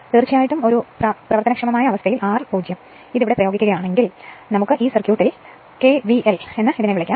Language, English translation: Malayalam, Of course, the running condition R is equal to 0 then if you apply here if you apply here you are what you call KVL in this in this in this circuit